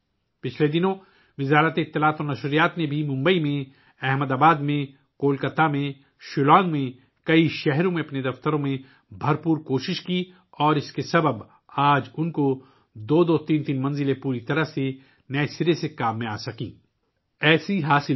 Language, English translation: Urdu, In the past, even the Ministry of Information and Broadcasting also made a lot of effort in its offices in Mumbai, Ahmedabad, Kolkata, Shillong in many cities and because of that, today they have two, three floors, available completely in usage anew